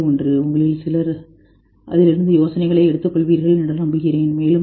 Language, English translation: Tamil, And I hope some of you will pick up ideas from it and go further